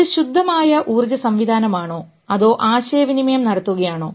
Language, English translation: Malayalam, Is it a pure energy system when it is communicating